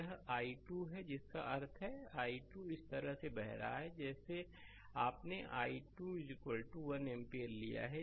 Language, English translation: Hindi, This is i 2 that means, i 2 is flowing also this way you have taken i 2 is equal to 1 ampere